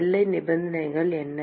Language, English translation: Tamil, What are the boundary conditions